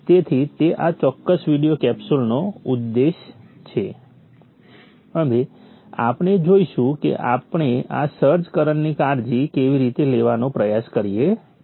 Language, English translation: Gujarati, So that is the objective of this particular video capsule and we shall see how we try to take care of this search current